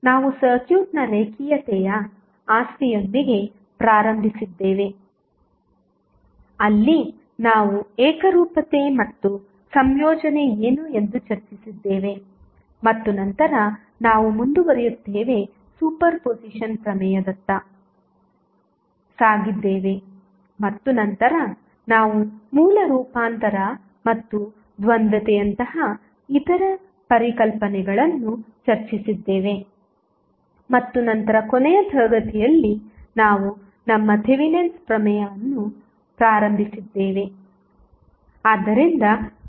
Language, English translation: Kannada, We started with linearity property of the circuit where we discussed what is homogeneity and additivity and then we proceeded towards the superposition theorem and then we discussed the other concepts like source transformation and the duality and then in the last class we started our Thevenin's theorem